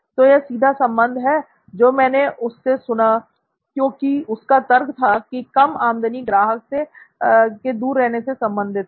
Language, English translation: Hindi, So this is the direct correlation of what I heard from him as the reasoning to low revenue is related to far distance from the customer location